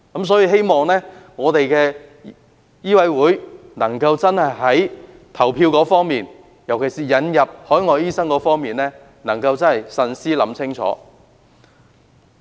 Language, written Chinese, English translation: Cantonese, 所以，我希望香港醫學會在投票時，尤其是就引入海外醫生方面，真的能夠慎思清楚。, Therefore I hope that HKMA can really consider carefully before casting any votes particularly with respect to the recruitment of overseas doctors